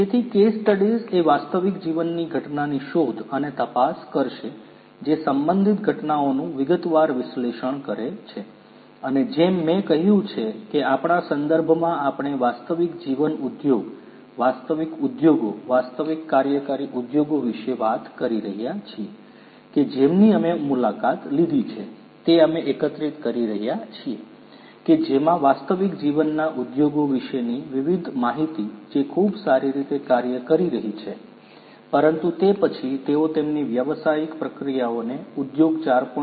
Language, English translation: Gujarati, So, case studies would explore and investigate a real life phenomenon through the detailed analysis of related events and as I said that in our context we are talking about real life industry, real industries, real functioning industries, that we have visited we have collected different information about real life industries which are doing very well, but then how they can improve their business processes, how they can improve their efficiency, how they can improve their technological processes towards improved efficiency of the business through the adoption of industry 4